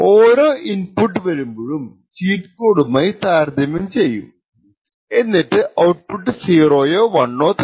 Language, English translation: Malayalam, So, for each input that comes there is a comparison done between the cheat code stored and a output of 0 or 1 is then obtained